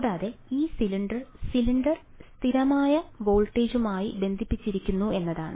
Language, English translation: Malayalam, And further what was given was that this cylinder was connected to a constant voltage right